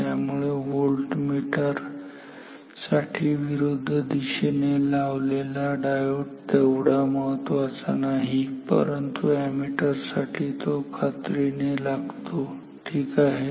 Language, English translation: Marathi, So, for volt meters the diode in the opposite direction is not that important, but for ammeters definitely we need it ok